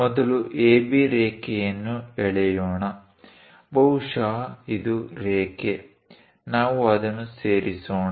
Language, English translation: Kannada, Let us first draw a line AB; maybe this is the line; let us join it